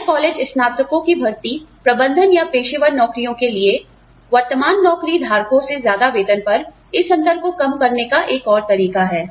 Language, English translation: Hindi, Recruitment of new college graduates, for management or professional jobs, at salaries, above those of current job holders, is another way, to reduce this gap